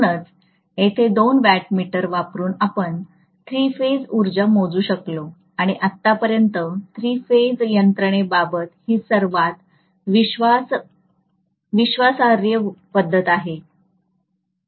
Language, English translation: Marathi, So we able to measure the three phase power just by using two watt meters here and this is one of the most reliable methods as far as the three phase system is concerned